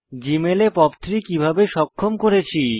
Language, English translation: Bengali, How did I enable POP3 in Gmail